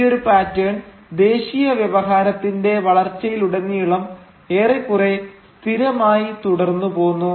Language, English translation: Malayalam, And this pattern remained more or less constant throughout the development of the nationalist discourse